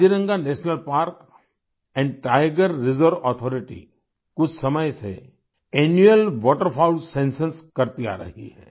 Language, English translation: Hindi, The Kaziranga National Park & Tiger Reserve Authority has been carrying out its Annual Waterfowls Census for some time